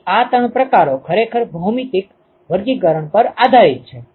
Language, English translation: Gujarati, So, this three types is actually based on geometric classification